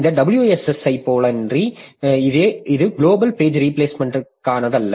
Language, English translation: Tamil, So, this is not for the global page replacement